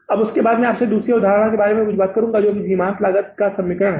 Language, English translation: Hindi, Now after that I will talk to you something about second concept is the marginal costing equation